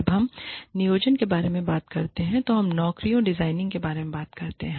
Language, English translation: Hindi, When we talk about planning, we are talking about, designing jobs